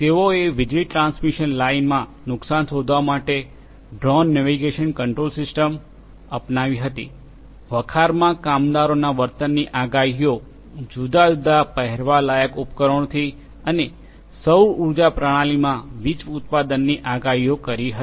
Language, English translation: Gujarati, They adopted the drone navigation control system to find damage in power transmission lines, predicting behaviors of workers in the warehouses through different wearable devices, and forecasting power generation in a solar power system